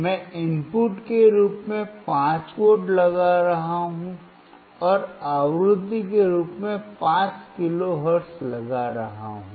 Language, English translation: Hindi, I am applying 5V as input and applying 5 kilo hertz as a frequency